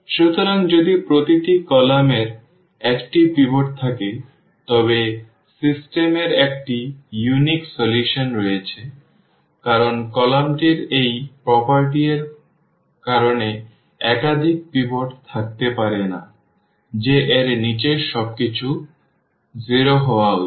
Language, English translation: Bengali, So, if each column has a pivot then the system has a unique solution because the column cannot have more than one pivot that because of this property that below this everything should be 0